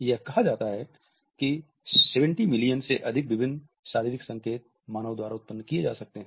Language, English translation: Hindi, It is said that more than 70 million different physical science can be produced by humans